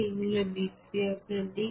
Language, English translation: Bengali, These are the reactant side